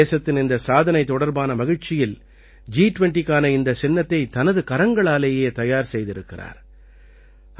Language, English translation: Tamil, Amid the joy of this achievement of the country, he has prepared this logo of G20 with his own hands